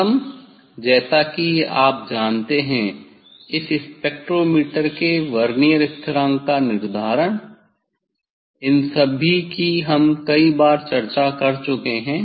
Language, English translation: Hindi, first as the you know this determination of the Vernier constant of spectrometer all we have discuss many times